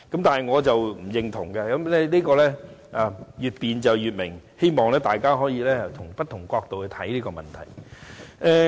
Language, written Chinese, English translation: Cantonese, 但我並不認同這一點，因為真理越辯越明，我希望大家可從不同角度看待這個問題。, But I do not see it this way because the truth will gradually reveal itself as the debate goes deeper . I hope Members can look at this issue from various angles